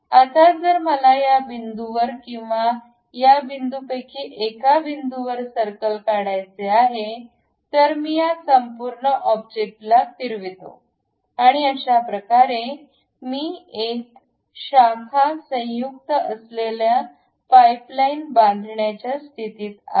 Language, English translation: Marathi, Now, if I am drawing a circle at one of the points, either at this point or at this point and revolve this entire object; I will be in a position to construct a pipeline, which is a branch joint